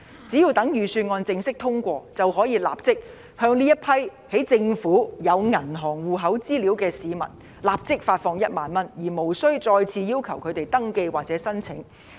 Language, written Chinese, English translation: Cantonese, 只待預算案正式通過，便可以向這些在政府有銀行戶口資料的市民立即發放1萬元，而無須再次要求他們登記或申請。, Once the Bill is passed the 10,000 can be given out immediately to those Hong Kong people whose bank account information are readily available to the Government and hence there is no need to ask them to register or apply afresh